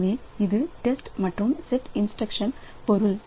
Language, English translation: Tamil, So, this is the test and set instruction definition